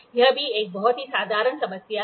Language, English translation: Hindi, This is also a very simple problem